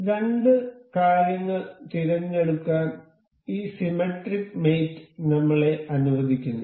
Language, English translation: Malayalam, So, this symmetric mate allows us to select two things